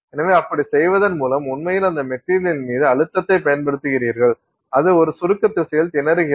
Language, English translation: Tamil, So, by doing so you are actually applying a compressive stress on that material and it is strained in a compressive direction